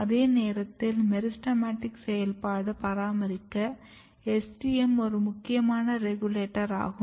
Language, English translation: Tamil, At the same time STM which is very important regulator of meristematic activity has to be activated for maintaining